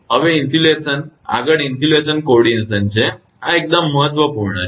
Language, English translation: Gujarati, Now, insulation next is insulation coordination this is quite important